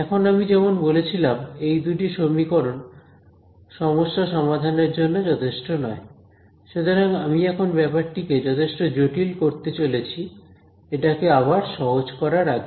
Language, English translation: Bengali, Now, as I said these two equations are not sufficient to solve this problem, so, now I am going to seemingly make life more complicated before making it simple again right